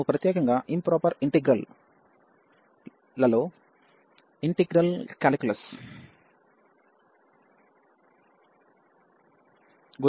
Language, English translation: Telugu, We are talking about the Integral Calculus in particular Improper Integrals